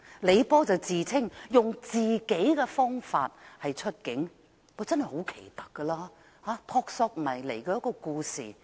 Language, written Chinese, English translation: Cantonese, 李波自稱"用自己方法出境"，真的很奇特，如一個撲朔迷離的故事。, Like an intriguing story the claim made by LEE Po that he had used his own way to leave Hong Kong is really very weird